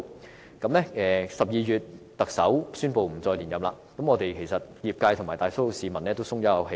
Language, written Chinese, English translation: Cantonese, 現任特首在12月宣布不再尋求連任後，業界和大多數市民也鬆了一口氣。, The medical sector and most people all breathed a sigh of relief when the incumbent Chief Executive announced his intention not to seek re - election in December